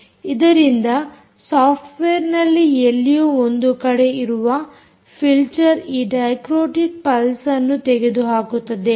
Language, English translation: Kannada, ok, which means you need somewhere in the software a filter which removes the dichrotic pulse is removed